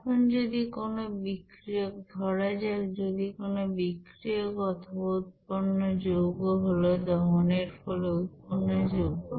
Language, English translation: Bengali, Now if any reactants, suppose if any reactants or products are combustion products